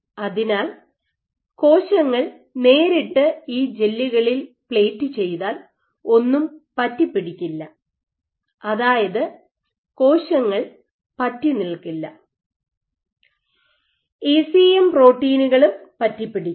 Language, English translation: Malayalam, So, if you plate cells directly on these gels nothing will stick, cells won’t stick and your ECM proteins won’t adsorb